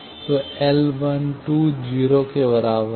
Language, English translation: Hindi, So, L 1 2 is equal to 0